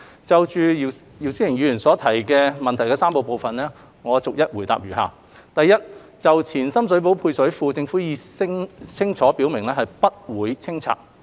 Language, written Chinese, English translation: Cantonese, 就姚思榮議員質詢的3個部分，我逐一答覆如下：一就前深水埗配水庫，政府已清楚表明不會清拆。, The reply to the three parts of the question by Mr YIU Si - wing is as follows 1 Regarding the Ex - Sham Shui Po Service Reservoir the Government has clearly indicated that it will not be demolished